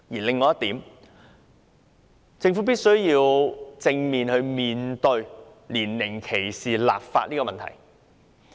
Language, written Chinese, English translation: Cantonese, 另外一點是，政府必須正視就年齡歧視立法的問題。, Besides the Government must address squarely the issue of legislating against age discrimination